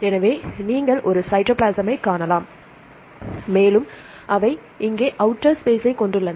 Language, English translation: Tamil, So, you can see a cytoplasm and they have the periplasm here and outer space